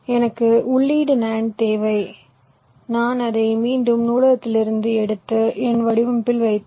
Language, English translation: Tamil, i need for input nand, i again pick up from the library, i put it in my design